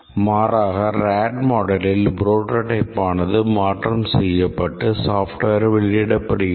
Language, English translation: Tamil, In contrast, in a rad model the prototype itself is modified into deliverable software